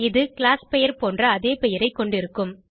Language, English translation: Tamil, It has the same name as the class name